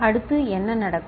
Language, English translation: Tamil, Next what happens